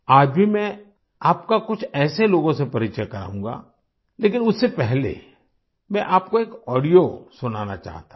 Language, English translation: Hindi, Even today I will introduce you to some such people, but before that I want to play an audio for you